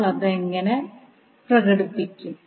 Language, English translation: Malayalam, How we will express that